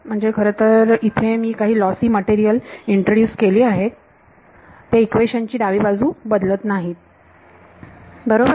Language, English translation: Marathi, So, the fact that I have now introduced some lossy materials here does not alter the left hand side of the equation right